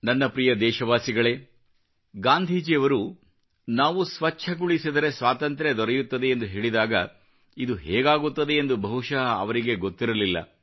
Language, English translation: Kannada, My dear countrymen, when Gandhiji said that by maintaining cleanliness, freedom will be won then he probably was not aware how this would happen